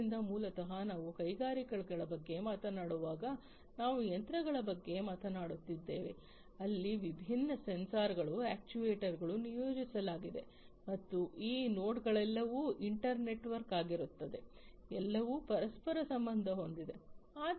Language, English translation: Kannada, So, basically you know when we are talking about industries, we are talking about machines , where different sensors actuators are all deployed and these nodes are all inter network, they are all interconnected